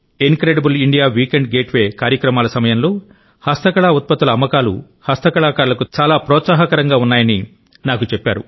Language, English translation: Telugu, I was also told that the total sales of handicrafts during the Incredible India Weekend Getaways is very encouraging to the handicraft artisans